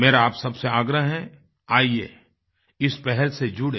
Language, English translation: Hindi, I urge you to the utmost, let's join this initiative